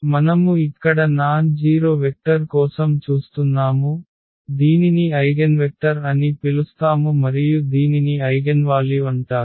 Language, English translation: Telugu, So, we are looking for the nonzero vector here which is called the eigenvector and this is called the eigenvalue ok